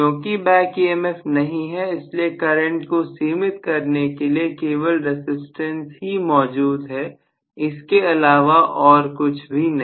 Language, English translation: Hindi, There is no back emf, only limiting factor for the current will be the resistances, nothing else